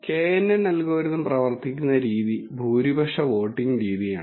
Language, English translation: Malayalam, And the way the knn algorithm works is by the majority voting method